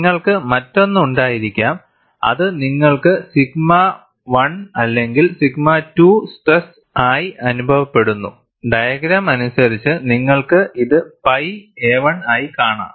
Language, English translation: Malayalam, You could also have another one, where you have the stress as sigma sigma 1 and or sigma 2 in our, as per our diagram and you have this as pi a 1